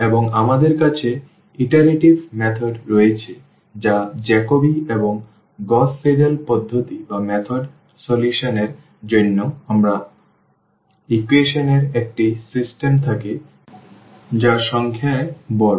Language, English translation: Bengali, And, we have iterative methods that is the Jacobi and the Gauss Seidel method for solving when we have a system of equations which is large in number so, really a very large system